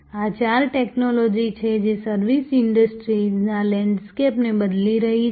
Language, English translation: Gujarati, These are four technologies, which are changing the service industries landscape